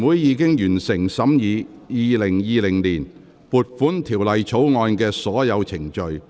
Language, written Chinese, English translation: Cantonese, 全體委員會已完成審議《2020年撥款條例草案》的所有程序。, All the proceedings on the Appropriation Bill 2020 have been concluded in committee of the whole Council